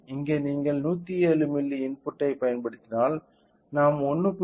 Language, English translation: Tamil, So, here if you apply input applied is of 107 milli, we are getting output of 1